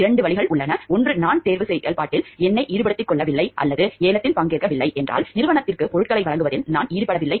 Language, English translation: Tamil, There are two ways, either I do not involve myself in the selection process or else I do not participate in the bid means I don't engage in the process of supplying goods to the organization